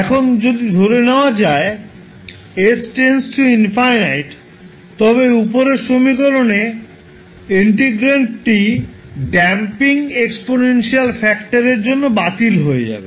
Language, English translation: Bengali, Now if we let s tends to infinity than the integrand to the above equation will vanish because of the damping exponential factor